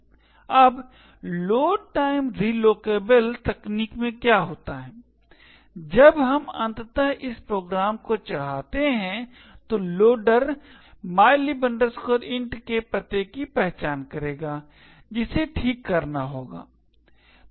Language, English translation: Hindi, Now, in the load time relocatable technique what happens is when we eventually load this program the loader would identify the address of mylib int has to be fixed